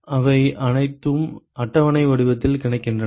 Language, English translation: Tamil, They are all available in tabular form